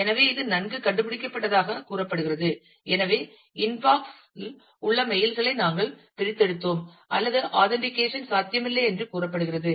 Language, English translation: Tamil, So, it is says that well this is have been found and therefore, we have extracted the mails in the inbox that existed, or it is says that the authentication is not possible